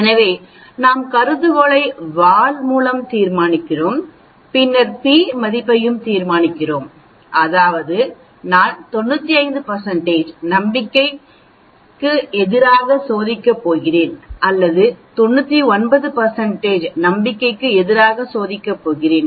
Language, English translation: Tamil, So we decide on the hypothesis with the tail and then we also decide on the p value, that is am I going to test against 95 % confidence or am I going to test against 99 % confidence